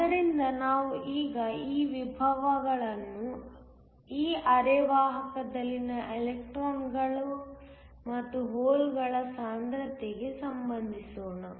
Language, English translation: Kannada, So, let us now relate these potentials to the concentration of electrons and holes in this semiconductor